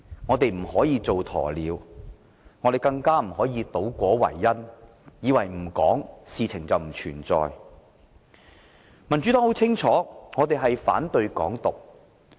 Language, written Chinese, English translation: Cantonese, 我們不可以扮鴕鳥，更不可以倒果為因，以為問題不提便等於不存在。, We cannot act like ostriches much less distort cause and effect and consider that the problems will disappear if we do not raise them